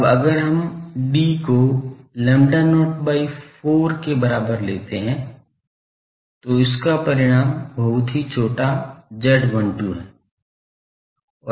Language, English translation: Hindi, Now if we take d is equal to lambda not by 4, this results in very small z 12 become small